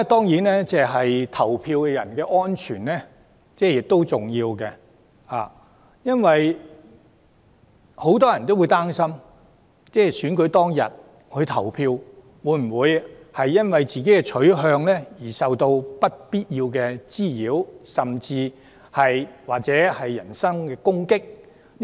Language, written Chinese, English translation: Cantonese, 此外，投票人士的安全亦十分重要，很多人曾擔心自己在選舉當日因投票取向而受到不必要的滋擾甚至攻擊。, Moreover the safety of voters is also very important . Many people were afraid that they would be subject to unnecessary harassment and even attacks on the election day because of their voting preference